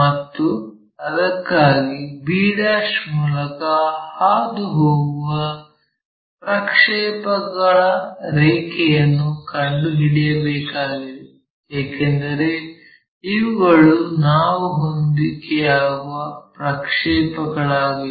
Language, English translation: Kannada, And, for that we have to locate a projector line, which is passing through b', because these are the projections they will match somewhere here